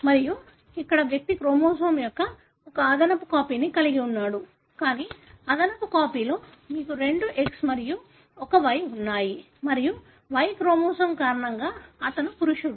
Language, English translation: Telugu, Again, here the individual is having one extra copy of the chromosome, but the extra copy is you have two X and one Y and he is male, because of the Y chromosome